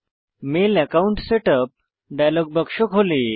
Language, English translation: Bengali, The Mail Account Setup dialogue box opens